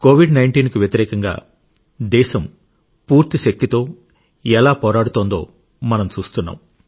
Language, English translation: Telugu, We are seeing how the country is fighting against Covid19 with all her might